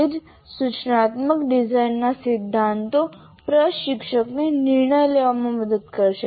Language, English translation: Gujarati, So that is what the principles of instructional design will help the instructor to decide on this